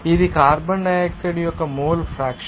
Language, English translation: Telugu, This is the mole fraction of carbon dioxide